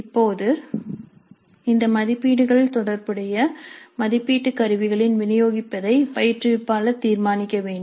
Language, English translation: Tamil, Now the instructor must decide on the distribution of these marks over the relevant assessment instruments